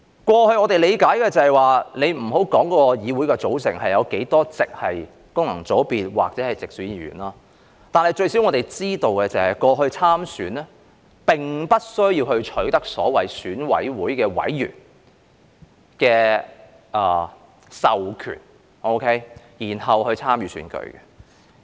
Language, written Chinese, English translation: Cantonese, 過去，我們理解的是，且不要說議會的組成有多少席是經功能界別或直選產生，最少我們知道，過去參選並不需要取得所謂選委會委員的授權，然後才可參與選舉。, In the past to our understanding leaving aside the number of seats in the Legislative Council that were returned by functional constituencies or direct elections at least we know that in the past there was no need to obtain the so - called authorization from EC members to stand for election